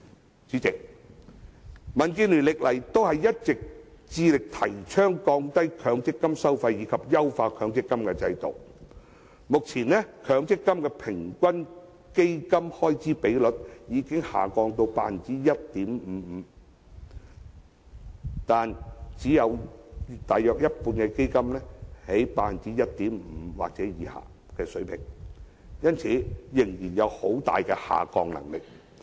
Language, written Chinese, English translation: Cantonese, 代理主席，民建聯多年來一直致力提倡降低強積金收費及優化強積金制度，目前強積金的平均基金開支比率已下降至 1.55%， 但只有約一半基金的開支比率是在 1.5% 或以下水平，因此仍然有很大的下降空間。, Deputy President for years DAB has been advocating the lowering of MPF charges and improving the MPF System . Even though the average expense ratio of MPF has now dropped to 1.55 % only about one half of all the funds have their expense ratio at 1.5 % or below